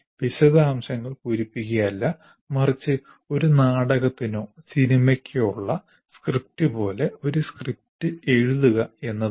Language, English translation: Malayalam, It is not the filling the details, but the writing a script, like script for a drama or a movie